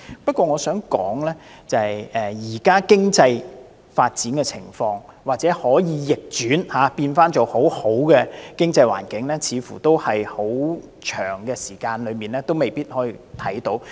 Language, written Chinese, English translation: Cantonese, 不過，我想指出，要將現時的經濟狀況逆轉為良好的經濟環境，似乎很長時間也未必能做到。, Nonetheless I would like to point out it is unlikely that the present economic situation will become agreeable again even after a long period of time